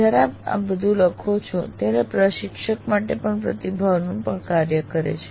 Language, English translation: Gujarati, When you write all this, this feedback also acts as a feedback to the instructor